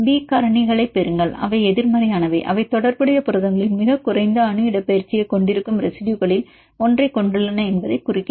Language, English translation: Tamil, Here receive B factors they are negative indicating that they are having one among the residues which are having the lowest atomic displacement in the corresponding proteins